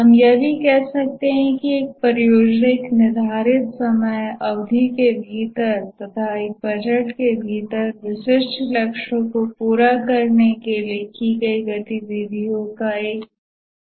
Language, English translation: Hindi, We can also say that a project is a set of activities undertaken within a defined time period in order to meet specific goals within a budget